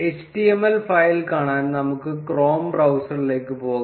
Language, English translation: Malayalam, To view the html file, let us go to the chrome browser